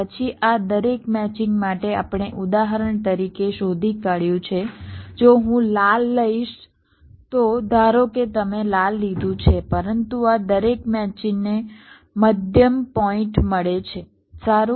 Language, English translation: Gujarati, then, for each of these matchings we have found out, like, for example, if i take the red one, suppose you have take the red one, but each of these matchings, well, find the middle points